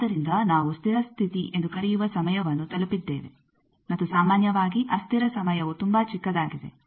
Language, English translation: Kannada, So, that time we call steady state is reached, and generally the transient time is quite small